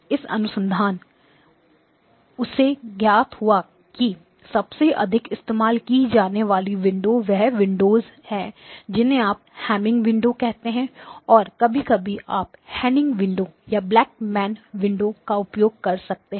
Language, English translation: Hindi, And it turns out that the most commonly used windows are the windows you call as a Hamming window and occasionally you may use a Hanning window or a Black man window